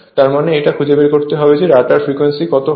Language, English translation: Bengali, That means, it is your what you call rotor frequency that is that you have to find out